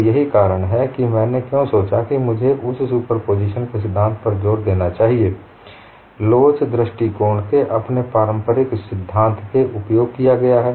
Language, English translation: Hindi, So that is the reason, why I thought, that I should emphasize principle of superposition has been used even, in your conventional theory of elasticity approach, it is not something new